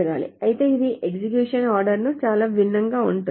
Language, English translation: Telugu, However, this is very, very different from the execution order